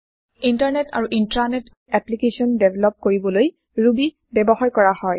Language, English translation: Assamese, Ruby is used for developing Internet and Intra net applications